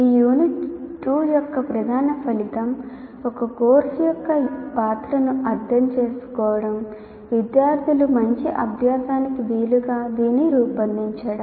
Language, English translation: Telugu, The main outcome of this unit two is understand the role of course design in facilitating good learning of the students